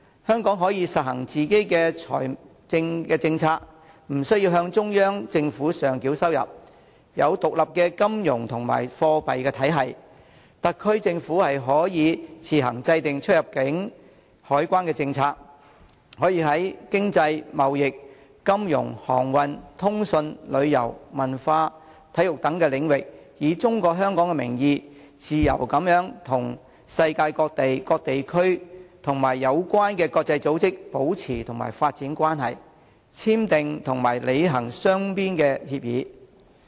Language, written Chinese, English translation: Cantonese, 香港可以實行自己的財政政策，不需要向中央政府上繳收入；有獨立的金融及貨幣體系，特區政府可以自行制訂出入境、海關政策，可以在經濟、貿易、金融、航運、通訊、旅遊、文化、體育等領域，以中國香港的名義，自由地與世界各地區及有關的國際組織保持和發展關係，簽訂和履行雙邊協議。, Hong Kong can formulate its own financial policy it does not need to hand over any revenue to the Central Government and can have its own financial and monetary system . The SAR Government can formulate its own immigration and customs policies . It may using the name Hong Kong China maintain and develop relations conclude and implement bilateral agreements with any places in the world and relevant international organizations in various areas including economic trade finance shipping communications tourism culture and sports